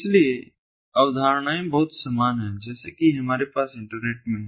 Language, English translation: Hindi, so the concepts are very similar to as we have in the internet